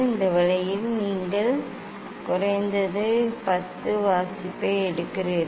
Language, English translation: Tamil, this way you take at least 10 reading